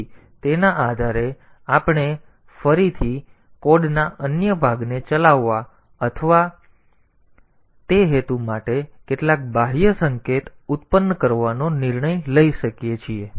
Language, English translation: Gujarati, So, based on that we can again take some decision to run some other piece of code or produce some external signal for that purpose